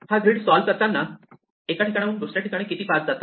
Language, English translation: Marathi, So, we solve this grid how many paths go from here to here, how many paths go from here to here